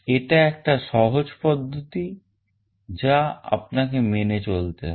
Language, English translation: Bengali, This is a simple process that you have to follow